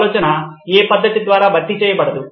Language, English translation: Telugu, The thinking is not replaced by the method